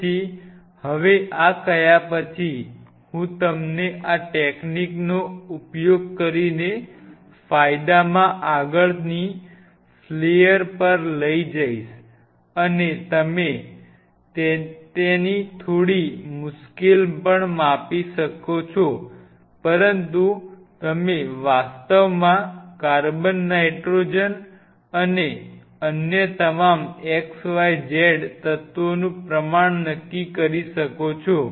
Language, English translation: Gujarati, So, now having said this I will take you to the next flayer in to the gain using this technique you can even quantify its little tricky, its little tricky to do so, but you can actually quantify the amount of carbon nitrogen and all other xyz elements are there and if you can quantify